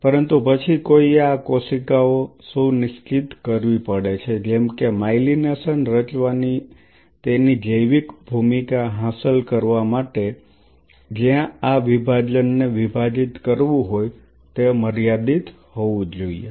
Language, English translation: Gujarati, But then one has to ensure these cells which in order to achieve its biological role of forming the myelination where it has to divide this division has to be finite